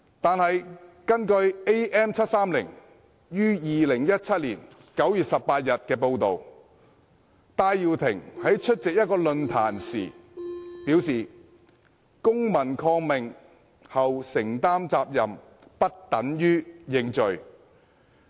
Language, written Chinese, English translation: Cantonese, 但是，根據《am730》於2017年9月18日的報道，戴耀廷在出席一個論壇時表示"公民抗命後承擔責任，不等於要認罪"。, However according to the report in am730 on 18 September 2017 Benny TAI stated at a forum that assuming the responsibility after civil disobedience does not mean pleading guilty to the offence